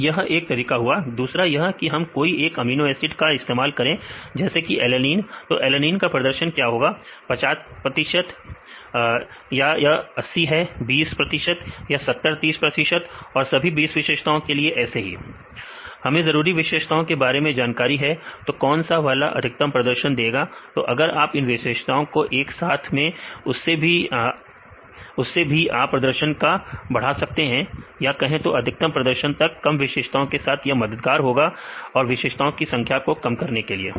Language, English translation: Hindi, There is one way second one we can use only one amino acid say just alanine; what is the performance of alanine where is 50; 50 percent or it is 80; 20 percent or 70; 30 percent and doing all these 20 features, we know the important features which one which one have the highest performance; when you combine this features and then also you can enhance the performance say the highest performance; with reduce number of features this is helpful for the reducing the number of features